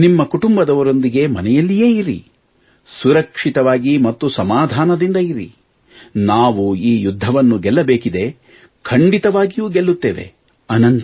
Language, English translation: Kannada, Stay at home with your family, be careful and safe, we need to win this battle